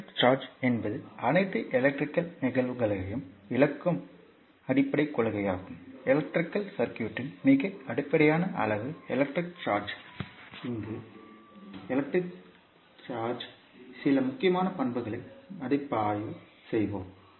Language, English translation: Tamil, Now, the concept of electric charge is the underlying principle of explaining all electrical phenomena, the most basic quantity in an electric circuit is the electric charge, here we will review some important characteristic of electric charge